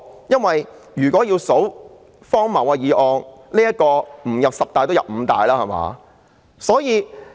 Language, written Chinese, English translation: Cantonese, 如果要選最荒謬的議案，這項議案即使不入五大也入十大。, If we have to pick the most absurd motion this motion will be in the top ten or even top five